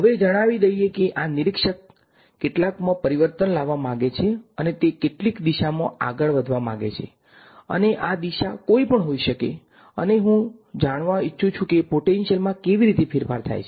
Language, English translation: Gujarati, Now, let say that this observer wants to change in some wants to move in some direction and this direction could be arbitrary and I want to know how does the potential change